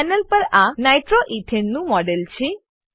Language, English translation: Gujarati, This is a model of nitroethane on the panel